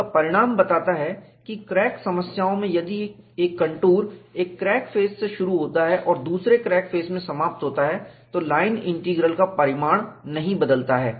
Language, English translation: Hindi, This result implies that, in crack problems, if a contour starts from one crack face and ends in another crack face, the magnitude of the line integral does not change